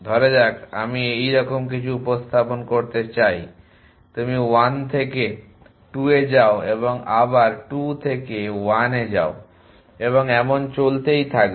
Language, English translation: Bengali, Supposing I want to represent something like this you go to 2 from 1 and you go to 1 from 2 and so on